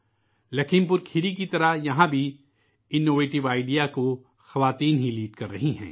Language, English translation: Urdu, Like Lakhimpur Kheri, here too, women are leading this innovative idea